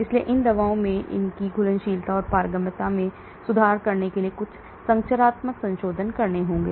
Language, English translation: Hindi, So there has to be some structural modifications to these drugs to improve their solubility as well as permeability